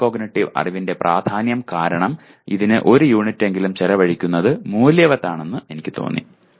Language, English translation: Malayalam, I felt spending, because of the importance of metacognitive knowledge it is worthwhile spending at least one unit on this